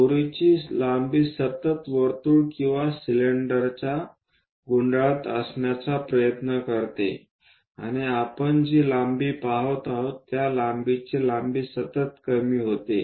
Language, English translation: Marathi, The rope length continuously it try to own the circle or cylinder and the length whatever the apparent length we are going to see that continuously decreases